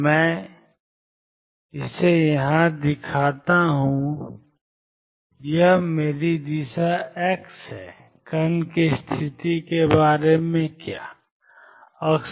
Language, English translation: Hindi, Let me show it here this is my direction x, how about the position of the particle